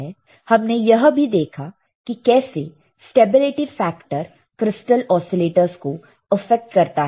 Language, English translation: Hindi, We have also seen how this stability factor affects the crystal oscillator